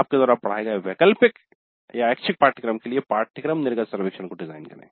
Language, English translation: Hindi, Design a course exit survey for the elective course you taught